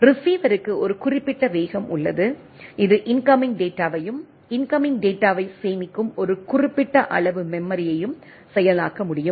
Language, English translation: Tamil, Receiver has a limited speed at which, it can process incoming data and a limited amount of memory in which store the incoming data